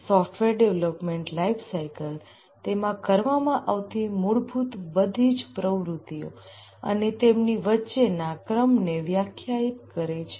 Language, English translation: Gujarati, The software development lifecycle essentially defines all the activities that are carried out and also the ordering among those activities